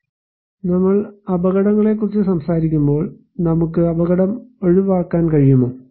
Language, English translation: Malayalam, Now when we are talking about hazards, can we avoid hazard